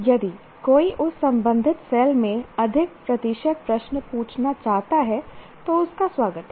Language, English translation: Hindi, If one wants to have more number, more percentage of questions in that corresponding cell, they're quite welcome